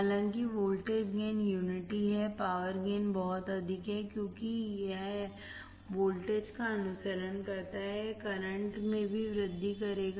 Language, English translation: Hindi, However, although the voltage gain is unity, the power gain is very high, because although it follows the voltage, it will also increase the current